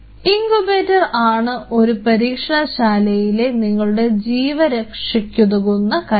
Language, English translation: Malayalam, Incubator is your life line in a lab because that is where all your cells are